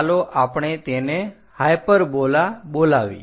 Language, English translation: Gujarati, Let us call hyperbola